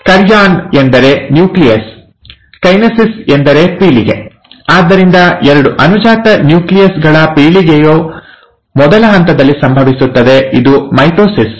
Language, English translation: Kannada, ‘Karyon’ means nucleus, ‘kinesis’ means generation, so generation of two daughter nuclei happens in the first step, which is mitosis